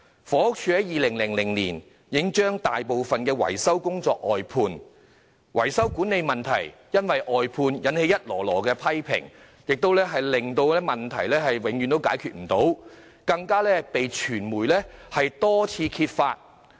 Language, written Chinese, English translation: Cantonese, 房署在2000年已把大部分維修工作外判，維修管理問題因外判惹來不少批評，而問題一直無法解決，更被傳媒多次揭發。, In 2000 HD already outsourced most of its maintenance work . The problems of maintenance management have attracted a lot of criticisms due to outsourcing . All along the problems have remained unsolved and have been repeatedly exposed by the media